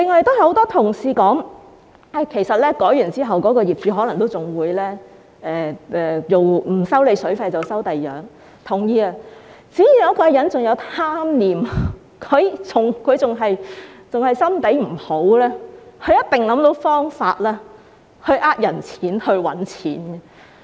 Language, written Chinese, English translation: Cantonese, 此外，很多同事指出，經過今次法例修訂之後，業主可能不再收水費，但改收另一些費用，這個我是同意的，只要一個人仍然有貪念，心腸仍然壞，一定會想到方法騙人錢財和賺錢。, Moreover many colleagues pointed out that after this legislative amendment the owners may charge tenants other fees instead of water fees . I agree with them . As long as there is greed and as long as there is an ill - intent there will be dishonest means to rip off people or make money